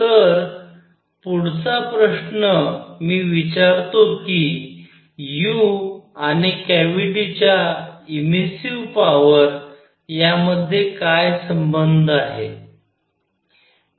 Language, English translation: Marathi, So next question I ask is; what is the relationship between u and the immersive power of the cavity